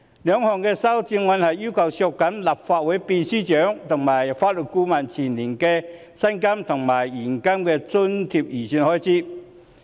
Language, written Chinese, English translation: Cantonese, 兩項修正案分別要求削減立法會秘書處秘書長及法律顧問的薪金及現金津貼預算開支。, The two amendments seek to cut the estimated expenditure on the salaries and cash allowances of the Secretary General and the Legal Adviser of the Legislative Council Secretariat respectively